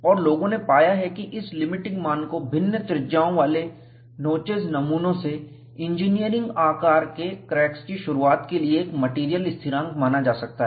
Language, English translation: Hindi, And, people have found that this limiting value, is assumed to be a material constant, for the initiation of engineering sized cracks, from notches of different radii